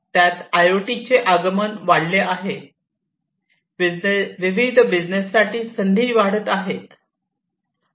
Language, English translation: Marathi, It has advent of IoT has increased, the opportunities for different businesses